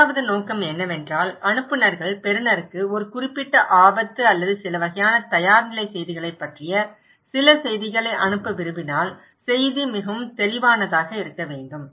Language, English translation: Tamil, The message should be very clear and second objective is that when senders wants to send the receiver some message about a particular risk or a kind of some preparedness message